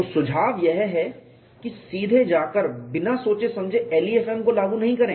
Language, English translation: Hindi, So, the recommendation is do not go and apply LEFM blindly